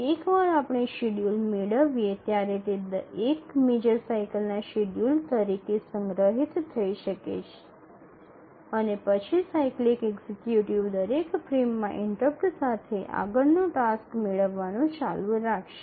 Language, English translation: Gujarati, And once we derive the schedule, it can be stored as the schedule for one major cycle and then the cyclic executive will keep on fetching the next task on each frame interrupt